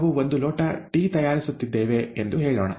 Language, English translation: Kannada, Let us say that we are making cup of tea